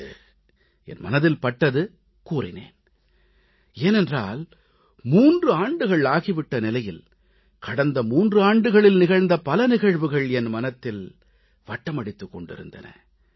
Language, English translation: Tamil, Today I felt like sharing it, since I thought that it has been three years, and events & incidents over those three years ran across my mind